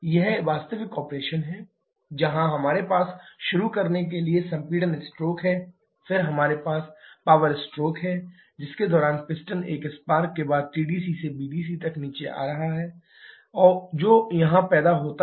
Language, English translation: Hindi, This is the actual operation where we have the compression stroke to start with, then we have the power stroke during which the piston is moving down from TDC to BDC following a spark which is produced here